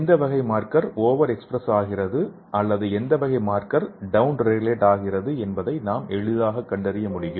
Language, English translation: Tamil, So we can easily detect which type of marker is over expressed or which type of marker is down regulated